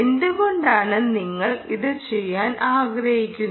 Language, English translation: Malayalam, why do you want to do this